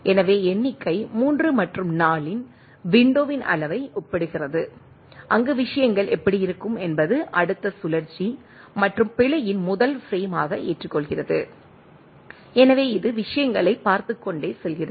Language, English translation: Tamil, So, figure compares the window size of 3 and 4 that how things will be there accepts as a first frame in the next cycle and error and so, it goes on looking at the things right